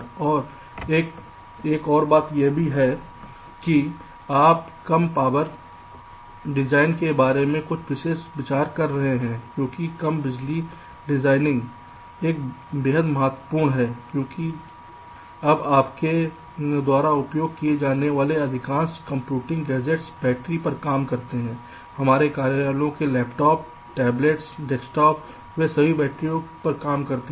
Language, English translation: Hindi, and another thing also that you will be discussing about is some special consideration about low power design, because low power design, because low power designing will also extremely important now a days, because most of the computing gadgets that you use now a days are operated on battery, other than the desktops one, or offices, laptops, mobiles, tablets, they all operate on batteries